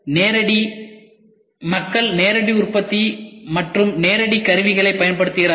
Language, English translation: Tamil, Then direct people use Direct Manufacturing and also Direct Tooling